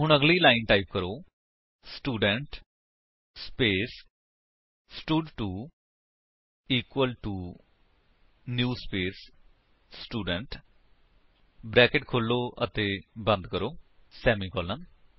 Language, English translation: Punjabi, So, type: next line, Student space stud2 equal to new space Student opening and closing brackets semicolon